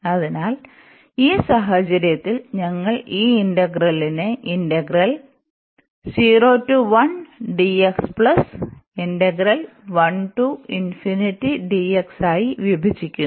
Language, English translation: Malayalam, Now, we will discuss only this integral here